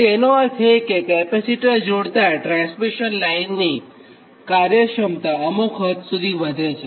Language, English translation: Gujarati, that means when you connect the shunt capacitor, that transmission line efficiency improves to some extent right